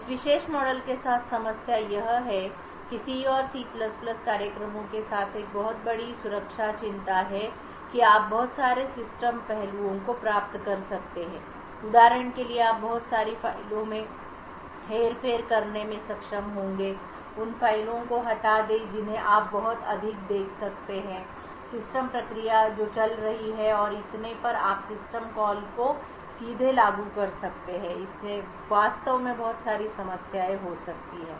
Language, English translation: Hindi, The problem with this particular model is that there is a huge security concern right with C and C++ programs you can achieve a lot of system aspects, you would be able to for example manipulate a lot of files, delete files you could see a lot of system processes that is running and so on, you could directly invoke system calls and this could actually lead to a lot of problems